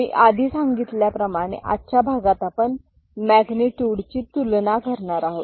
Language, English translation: Marathi, As I said in today’s class we shall discuss magnitude comparison